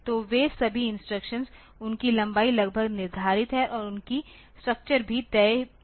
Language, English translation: Hindi, So, all the instructions they are more or less fixed their lengths are fixed and their structure is also fixe